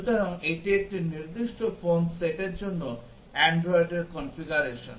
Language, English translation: Bengali, So, this is the configuration for android for a specific phone set